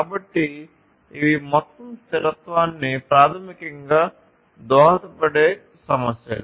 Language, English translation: Telugu, So, these are the issues that basically contribute to the overall sustainability